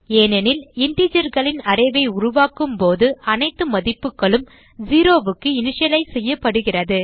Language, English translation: Tamil, This is because when we create an array of integers, all the values are initialized to 0